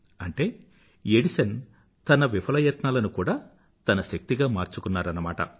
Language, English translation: Telugu, What I mean to say is, Edison transformed even his failures into his own strength